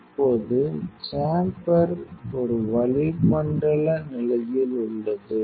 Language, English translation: Tamil, So, now, the chamber is in an atmospheric condition